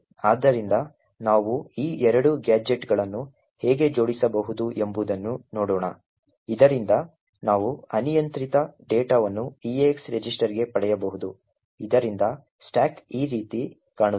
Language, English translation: Kannada, So, let us see how we can stitch these two gadgets together so that we can get arbitrary data into the eax register so the stack would look something like this